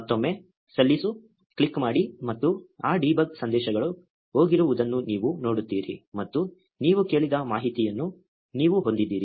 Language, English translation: Kannada, Click submit again and you will see that those debug messages are gone and you have the information you asked for